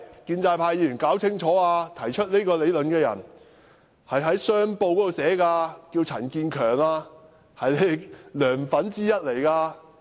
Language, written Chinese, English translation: Cantonese, 請建制派議員弄清楚，提出這個理論的是《香港商報》的陳建強，他是"梁粉"之一。, I would like to make it clear to the pro - establishment Members that this idea has been put forward in Hong Kong Commercial Daily by Mr Eugene CHAN a supporter of Mr LEUNG Chun - ying